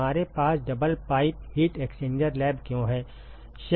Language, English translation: Hindi, Why do we have double pipe heat exchanger the lab